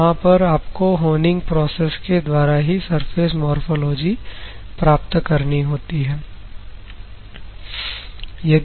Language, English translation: Hindi, There you have to use the surface morphology of honing process only ok